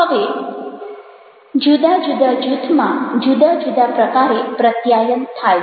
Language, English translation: Gujarati, now, different groups have different kinds of communication